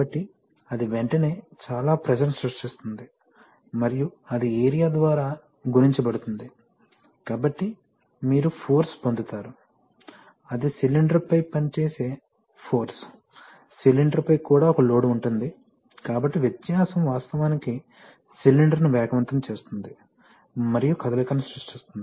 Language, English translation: Telugu, So that immediately creates a lot of pressure and that multiplied by area, so you get the force, that is the acting force on the cylinder, there is a load on the cylinder also, so the difference actually accelerates the cylinder and creates the motion